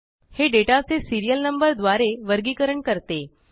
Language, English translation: Marathi, This groups the data by Serial Number